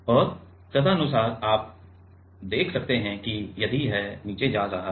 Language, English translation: Hindi, And, accordingly you can see that if it is moving down